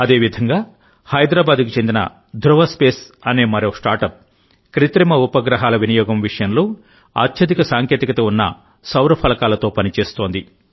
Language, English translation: Telugu, Similarly, Dhruva Space, another StartUp of Hyderabad, is working on High Technology Solar Panels for Satellite Deployer and Satellites